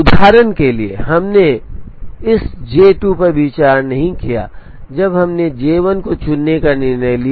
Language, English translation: Hindi, For example, we did not consider this J 2 when we made a decision to choose J 1